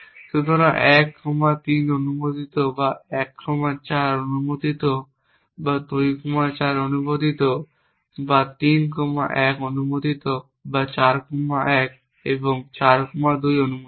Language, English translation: Bengali, So, 1 comma 3 is allowed or 1 comma 4 is allowed or 2 comma 4 is allowed or 3 comma 1 is allowed or 4 comma 1 and 4 comma 2